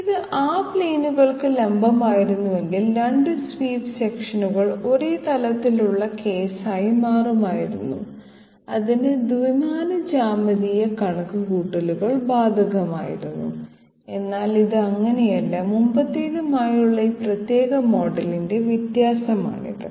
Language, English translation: Malayalam, Had it been perpendicular to those planes, it would have you know again become the case of 2 swept sections being on the same plane and two dimensional geometrical calculations would have been applicable, but it is not so this is the difference of this particular model with the previous one